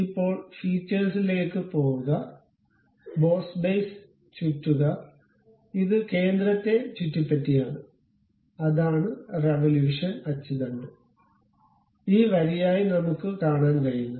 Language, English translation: Malayalam, Now, go to features, revolve boss base, it is revolving around this centre one that is the thing what we can see axis of revolution as this line one